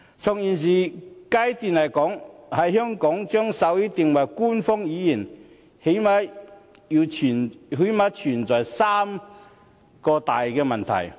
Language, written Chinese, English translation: Cantonese, 在現階段，在香港將手語定為官方語言，最低限度存在三大問題。, At the present stage there are at least three major problems in making sign language an official language in Hong Kong